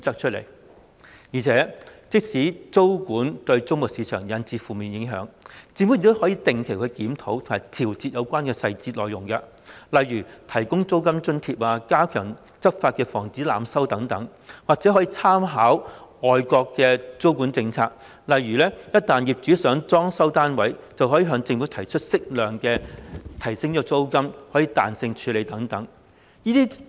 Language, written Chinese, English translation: Cantonese, 此外，即使租務管制會對租務市場產生負面影響，政府亦可定期檢討及調整有關的細節內容，例如提供租金津貼、加強執法以防濫收等，或可參考外國的租務管制政策，例如業主若想裝修單位，可向政府提出適度增加租金、可彈性處理等。, In addition even if tenancy control would bring about a negative impact on the rental market the Government can review and adjust the relevant details regularly such as providing a rental allowance stepping up enforcement against overcharging etc . What is more reference can be drawn from the tenancy control policies in overseas countries . For instance if the landlords intend to refurbish their flats they can raise with the Government a moderate increase in rents and arrangement for flexible handling etc